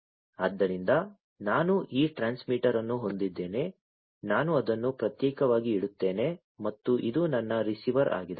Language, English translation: Kannada, So, I have this transmitter I will keep it separately and this is my receiver